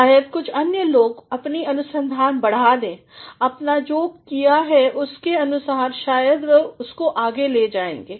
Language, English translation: Hindi, Maybe some other people will extend their research based on what you have done maybe they are going to carry it further